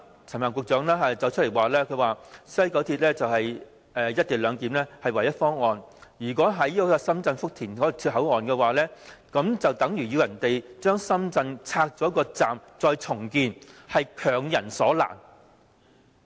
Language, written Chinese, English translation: Cantonese, 陳帆局長表示，西九龍站"一地兩檢"是唯一的方案，如果在深圳福田站設置口岸，等於要求人家把深圳站拆卸重建，是強人所難。, Secretary Frank CHAN has explained that the WKS co - location clearance was the only proposal for XRL because if we adopted the Futian Station co - location option we would need to request the Shenzhen authorities to demolish and redevelop the current Shenzhen Station . This would make things difficult for others